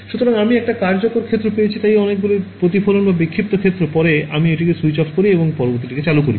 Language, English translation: Bengali, So, I have got one incident field so, many reflected or scattered fields then I switch it off and turn the next guy on